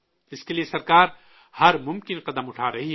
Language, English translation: Urdu, For this, the Government is taking all possible steps